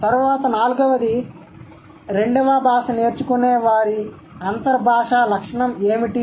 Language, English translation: Telugu, Then the fourth one, what characterizes the inter languages of second language learners